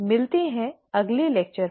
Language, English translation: Hindi, See you in the next lecture